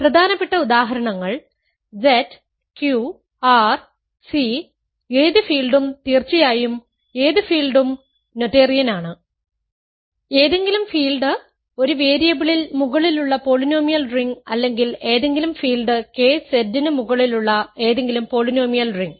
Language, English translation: Malayalam, And the important important examples are Z, Q, R, C, any field of course, any field is noetherian; any field, polynomial ring over in one variable or any field K is any field polynomial ring over Z